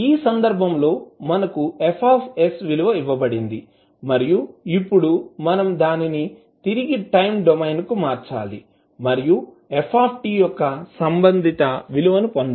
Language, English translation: Telugu, In this case, we are given the value of F s and now we need to transform it back to the time domain and obtain the corresponding value of f t